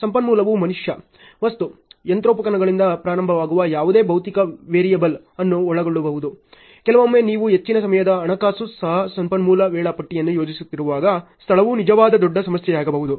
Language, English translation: Kannada, So, resource can include any physical variable starting from man, material, machinery, sometimes even finance most of the time even space can be a real big issue when you are planning on resource schedules ok